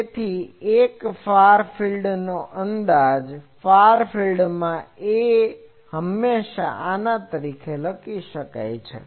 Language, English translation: Gujarati, So, this is a far field approximation that in the far field, this A can always be written as